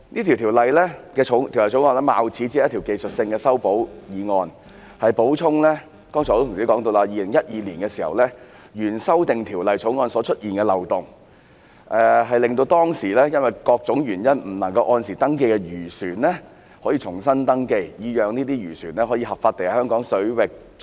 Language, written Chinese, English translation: Cantonese, 《條例草案》貌似一項技術性的修訂議案——就如很多同事剛才也提到——旨在填補2012年通過的原修訂條例草案的漏洞，令到當時因為各種原因不能按時登記的漁船可以重新登記，讓漁船可以合法地在香港水域作業。, The Bill seemingly a technical amendment as mentioned by many Honourable colleagues just now aims at plugging the loopholes in the amendment bill passed in 2012 allowing fishing vessels which failed to register on time back then due to various circumstances to re - register and operate legitimately in Hong Kong waters